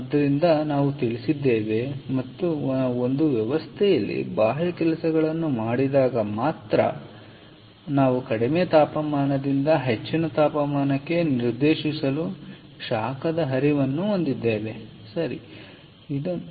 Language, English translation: Kannada, so we know that, and so we, or rather we, have flow of heat from a lower temperature to direct to a higher temperature only when we have external work done on a system